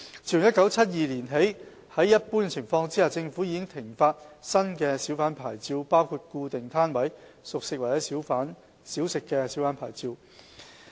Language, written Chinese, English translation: Cantonese, 自1972年起，在一般情況下，政府已停發新小販牌照包括固定攤位小販牌照。, Since 1972 under normal circumstances the Government has stopped issuing new hawker licences including Fixed - Pitch Hawker Licences